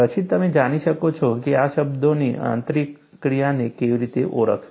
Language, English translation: Gujarati, Then, you will know, how to identify the interplay of these terms